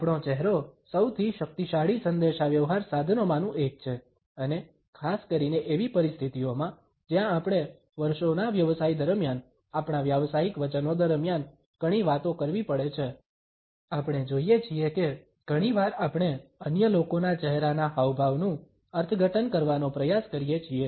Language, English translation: Gujarati, Our face is one of the most powerful communication tools and particularly in the situations where we have to talk a lot during our business of years, during our professional commitments, we find that often we try to interpret the facial expressions of other people